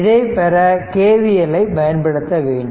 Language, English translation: Tamil, So, apply K V L in this mesh